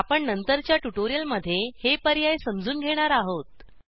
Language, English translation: Marathi, We will learn about these options in subsequent tutorials